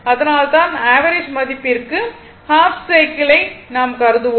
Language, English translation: Tamil, That is why, we will consider that half cycle for average value right